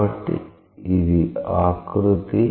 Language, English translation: Telugu, So, this is the contour